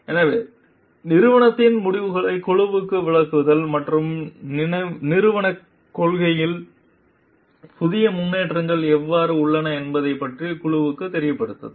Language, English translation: Tamil, So, explaining company decisions to the team and inform the team about how the new developments in the organizational policy